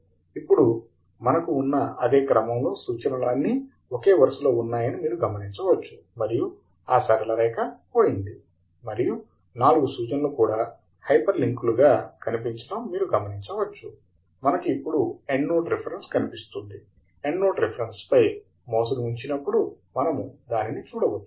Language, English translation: Telugu, Now, you can see that we have got the references lined up in the same sequence as we have referred, and the line is gone, and we have seen that the four references are also appearing as hyperlinks; you can see the Endnote Reference appearing whenever we hover the mouse over the Endnote Reference